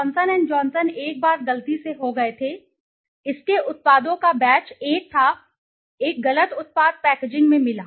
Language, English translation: Hindi, Johnson and Johnson once had by mistake had in one of its you know batch of products had a, one of a wrong product got into the packaging